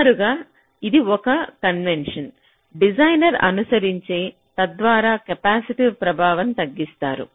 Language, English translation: Telugu, this is a convention which the designer tries to follow so that the capacitive effect is minimized